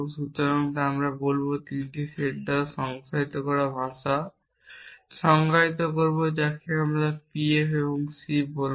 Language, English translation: Bengali, So, we will define the language l to be define by 3 sets which we will call P F and C